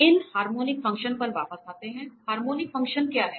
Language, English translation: Hindi, Coming back to these harmonic functions, what are the harmonic functions